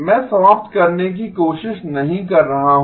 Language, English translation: Hindi, I am not trying to eliminate